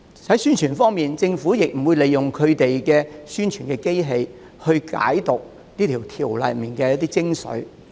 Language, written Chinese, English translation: Cantonese, 在宣傳方面，政府沒有利用宣傳機器，解釋修訂條例中的一些精髓。, As for promotion the Government has not used the publicity machine to explain the essence of the legislative amendment